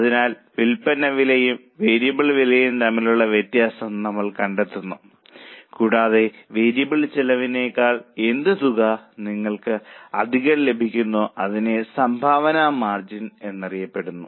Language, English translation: Malayalam, So, we find difference between sale price and variable cost and what extra you earn, extra over variable cost is known as a contribution margin